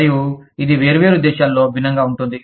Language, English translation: Telugu, And, this could be different, in different countries